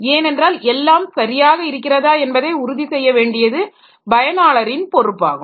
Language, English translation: Tamil, Because it is up to the user's responsibility to ensure that it is everything is fine